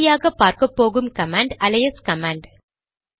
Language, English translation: Tamil, The last but quite important command we will see is the alias command